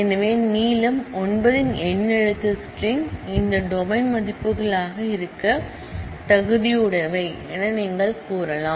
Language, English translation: Tamil, So, you can say alphanumeric strings of length 9 are eligible for being values of this domain